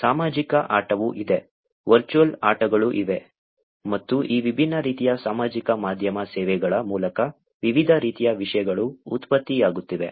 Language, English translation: Kannada, There is an also social game, there is an also virtual games, and there are different types of content that are getting generated through these different types of social media services that are available